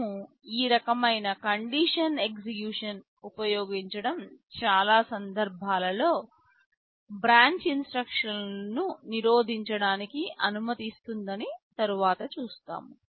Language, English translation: Telugu, We shall see later that using this kind of condition execution allows us to prevent branch instructions in many cases